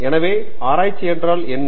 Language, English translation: Tamil, So, what is research